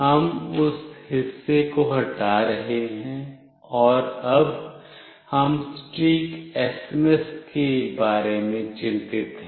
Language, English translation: Hindi, We are removing that part, and we are now concerned about the exact SMS